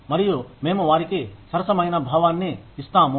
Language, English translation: Telugu, And, we give them a sense of fairness